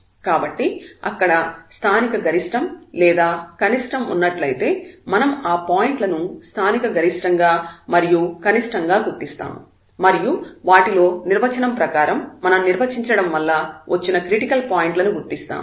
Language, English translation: Telugu, So, if there is a local maximum minimum we will identify those points local maximum and minimum and among these which are the critical points as per the definition we have defined